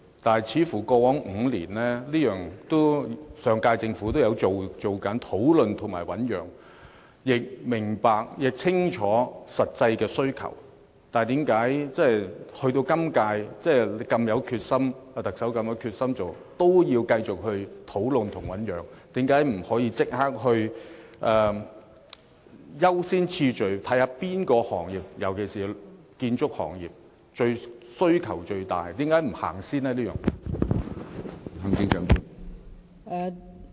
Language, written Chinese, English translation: Cantonese, 況且，似乎在過往5年，上屆政府都有做這些事，亦清楚明白實際的需求，但為何即使本屆特首如此有決心，也要繼續討論及醞釀，為何不可以優先次序，看看哪個行業——尤其是建築業——的需求最大而先行處理？, The point is that the previous Government already made such efforts in the past five years and it could already see the actual needs clearly . So why does the present Chief Executive still need further discussions and deliberation despite all her determination? . Why doesnt she check the needs of different industries work out the priorities and then give priority to those with the greatest need―in particular the construction industry?